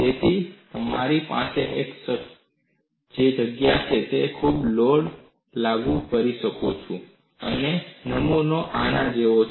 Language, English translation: Gujarati, So, I have a place where I can apply the load and the specimen is like this